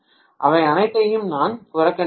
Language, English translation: Tamil, I am neglecting all of them